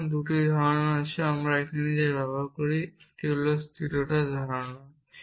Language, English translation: Bengali, So, there are 2 notions that we use here one is the notion of soundness